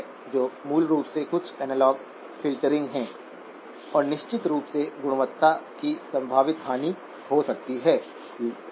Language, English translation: Hindi, So basically there is some analog filtering that, and of course, there could be a potential loss of quality, okay